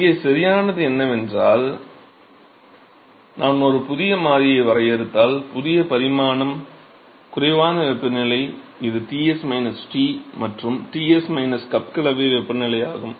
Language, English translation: Tamil, So, here the correct statement is that if I define a new variable, new dimension less temperature, which is Ts minus T by Ts minus the cup mixing temperature